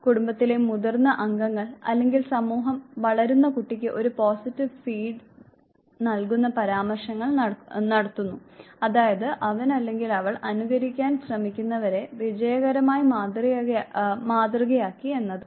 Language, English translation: Malayalam, the elder members of the family, the society, they also appreciate, they do pass remarks which gives a positive feed to the growing child that he or she has been successful modelling whose favor he or she is trying to imitate